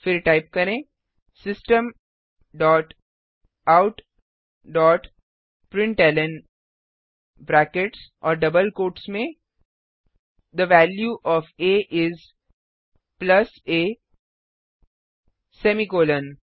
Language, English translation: Hindi, Then type System dot out dot println within brackets and double quotes The value of a is plus a semicolon